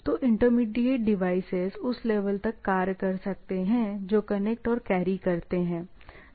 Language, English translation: Hindi, So, sorry, intermediate devices can act up to the level which connect and carry, right